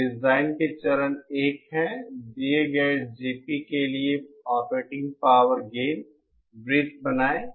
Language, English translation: Hindi, So the steps to design are 1st, for a given GP, draw the operating power gain circle